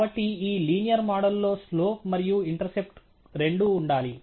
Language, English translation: Telugu, Therefore, this linear model should have both slow and intercept